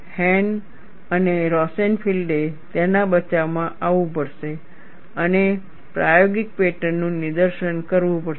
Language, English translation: Gujarati, Hahn and Rosenfield had to come to his rescue and demonstrated the experimental patterns